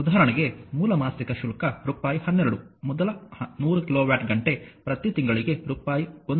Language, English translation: Kannada, For example base monthly charge is rupees 12 first 100 kilowatt hour per month at rupees 1